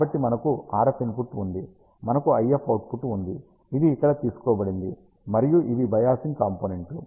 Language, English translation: Telugu, So, we have an RF input, we have IF output which is taken over here and these are the biasing components